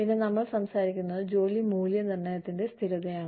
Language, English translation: Malayalam, Then, we talk about, consistency of job evaluation